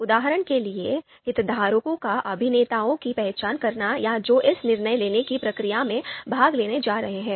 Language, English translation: Hindi, For example, identifying the stakeholders or actors or who are going to participate in this decision making process